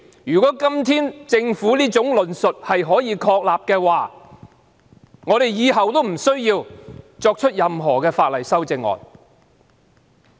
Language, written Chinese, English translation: Cantonese, 如果政府今天的論述成立的話，我們以後都無須就任何法案提出修正案。, If what the Government said today is implemented it will no longer be necessary for us to propose amendments to any bills in the future